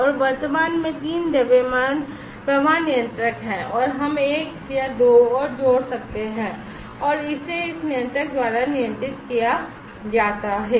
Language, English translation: Hindi, And at present there are three mass flow controller and we can add 1 or 2 more and this is controlled by this controller